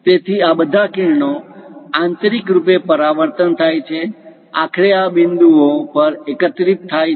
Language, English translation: Gujarati, So, all these rays internally reflected, finally converge at this points